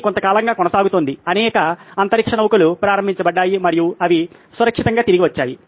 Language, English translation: Telugu, This is been on for a while, many many space shuttles have been launched and they have safely landed back